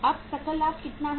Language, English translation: Hindi, So how much is the gross profit here